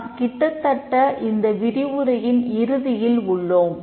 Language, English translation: Tamil, We are almost end of this lecture